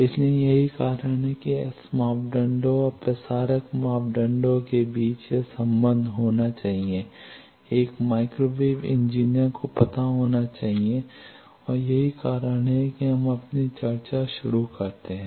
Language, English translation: Hindi, So, that is why this relationship between S parameters and transmitter parameters 1 should know, 1 microwave engineer should know and that is why we start our discussion